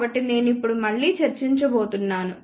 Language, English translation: Telugu, So, I am not going to discuss that again now